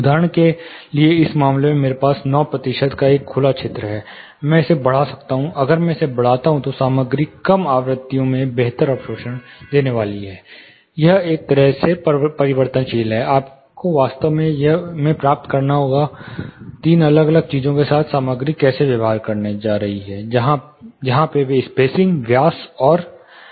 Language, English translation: Hindi, For example in this case, I have a open area of around close to 9 percentage, I can increase this, if I increase this the material is going to give better absorption and the low frequencies, it is kind variable, you have to actually get an understanding of how the material is going to behave, with three different things, in this case spacing diameter and the backing